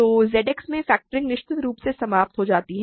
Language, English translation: Hindi, So, factoring definitely terminates in Z X